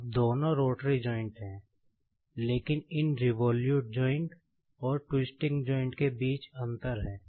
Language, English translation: Hindi, Now, both are the rotary joints, but basically there is a difference between these revolute joint, and twisting joint